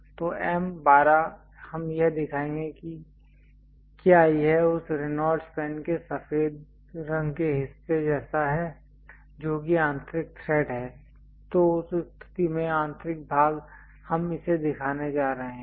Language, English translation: Hindi, So, M 12 we will show if it is something like the white color portion of that Reynolds pen, which is having internal thread then in that case internal portions we are going to show it